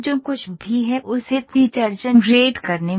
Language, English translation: Hindi, In the generating the feature whatever it is